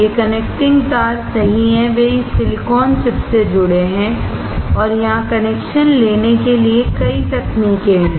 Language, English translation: Hindi, These connecting wires right, they are connected to this silicone chip and there are several techniques to take connection